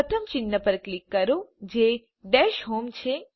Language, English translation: Gujarati, Click on first icon i.e the Dash home